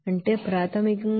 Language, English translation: Telugu, That is basically 1237